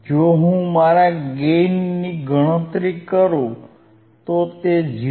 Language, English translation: Gujarati, Iif I calculate my gain my gain, it is 0